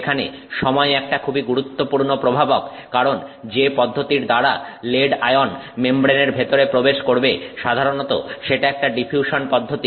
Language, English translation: Bengali, The time is a very important factor here because the process by which the lead ion is getting inside the membrane is simply a diffusional process